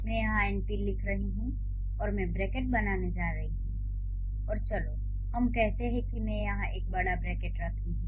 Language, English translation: Hindi, So, when we say bracket, so I am writing here np and I am going to draw the bracket, let's say I am writing, I am putting a big bracket here